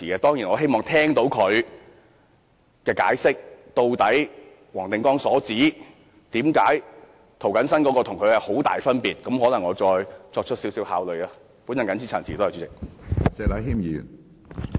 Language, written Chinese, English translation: Cantonese, 當然，我希望聽到他解釋，黃定光議員所指涂謹申議員的修正案與他的修正案之間的很大分別究竟為何，然後再作考慮。, We certainly hope that Mr CHOW will explain to us the great differences as pointed out by Mr WONG Ting - kwong between his amendment and Mr James TOs amendment so that we can make a decision